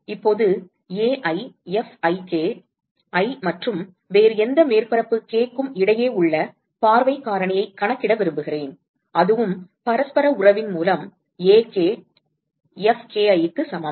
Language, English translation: Tamil, Now, Ai Fik, I want to calculate the view factor between i and any other surface k and that is also equal to Ak Fki by reciprocity relationship